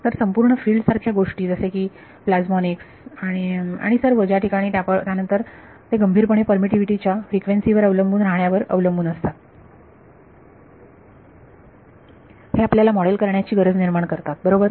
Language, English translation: Marathi, So, the entire field of things like plasmonics and all where then they critically depends on frequency dependence of permittivity needs us to be able to model it right